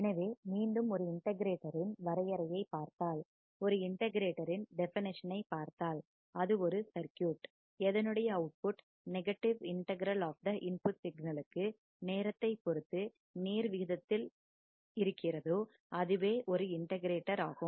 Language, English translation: Tamil, So, once again if I see the definition of an integrator, if I see the definition of an integrator, it is a circuit whose output is proportional to to the negative integral negative integral of the input signal with respect to time